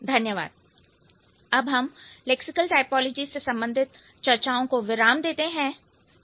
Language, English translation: Hindi, So, we stopped or we finished or we ended with the discussions related to lexical typology